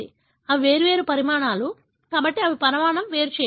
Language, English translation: Telugu, They are different sizes, therefore, they are size separated